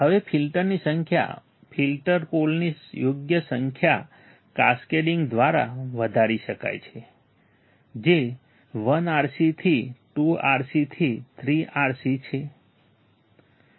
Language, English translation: Gujarati, Now, number of filters can be increased by cascading right number of filter poles that is from 1 RC to 2 RC to 3 RC